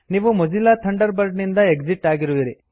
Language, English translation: Kannada, You will exit Mozilla Thunderbird